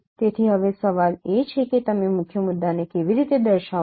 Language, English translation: Gujarati, So now the question is that how do you characterize a key point